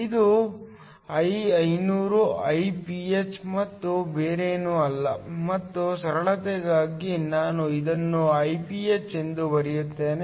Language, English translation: Kannada, This is nothing but I500, Iph and just for simplicity I will write this as Iph